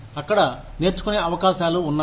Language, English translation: Telugu, Learning opportunities are there